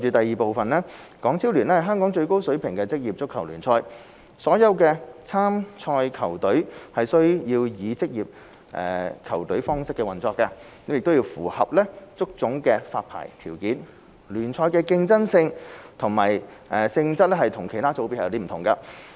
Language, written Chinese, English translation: Cantonese, 二港超聯是香港最高水平的職業足球聯賽，所有參賽球隊須以職業球隊方式運作，並須符合足總的發牌條件，聯賽的競爭性及性質與其他組別不同。, 2 Being the highest level of professional football in Hong Kong HKPL requires all participating teams to operate as professional teams and meet the licensing requirements of HKFA . It is different from other divisions of the league in terms of competitiveness and nature